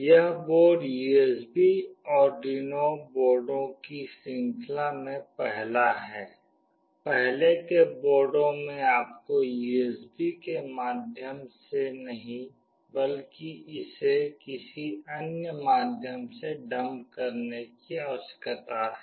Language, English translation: Hindi, This board is the first in the series of USB Arduino boards, in earlier boards you need to dump it through some other means not through this USB’s